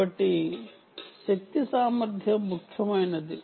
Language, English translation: Telugu, so power efficiency becomes important